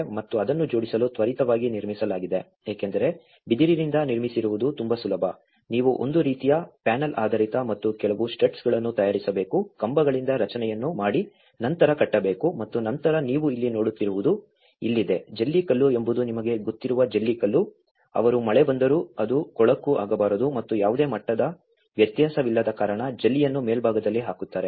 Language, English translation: Kannada, And it has quickly erected to make assemble because it is very easy to build bamboo, you just have to make kind of panel based and make some studs, make the structure with the poles and then tie up and then what you see here is this is a gravel you know the gravel, they put the gravel on the top so that even if the rain comes it does not become dirty and because there is hardly any level difference